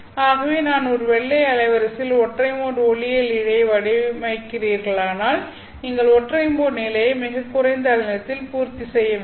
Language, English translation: Tamil, If I am designing over a wide bandwidth, the single mode optical fiber, you have to satisfy the single modelled condition at the lowest wavelength